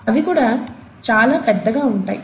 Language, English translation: Telugu, They are very large too